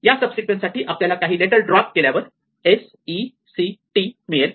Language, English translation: Marathi, For the subsequence i have to drops some letters to get s e c t